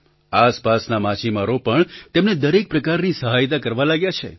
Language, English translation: Gujarati, Local fishermen have also started to help them by all means